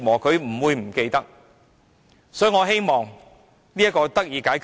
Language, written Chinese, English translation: Cantonese, 所以，我希望這情況得以解決。, For this reason I hope such problems can be resolved